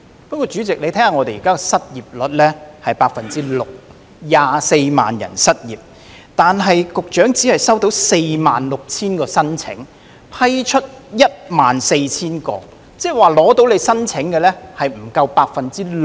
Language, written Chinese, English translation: Cantonese, 不過，主席，香港現時的失業率是 6%， 共有24萬人失業，但局長只收到46000份申請，並批出14000宗，換言之，成功申請的失業人士不足 6%。, However President the current unemployment rate in Hong Kong is 6 % and there is a total of 240 000 unemployed persons but the Secretary has only received 46 000 applications and approved 14 000 of them . In other words the percentage of unemployed persons whose applications have been approved is less than 6 %